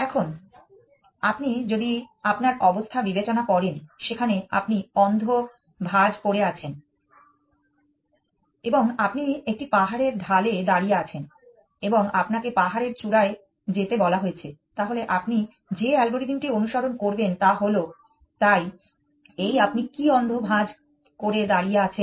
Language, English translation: Bengali, Now, if you consider your situation, there you are blind folded and you are standing on the slop of a hill side and you have been told to go to the top of the hill then what is the algorithm that you would follow is, so this is you standing blind folded